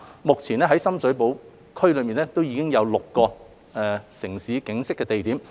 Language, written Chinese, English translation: Cantonese, 目前在深水埗區內已有6個"城市景昔"地點。, At present there are six locations in Sham Shui Po featuring the City in Time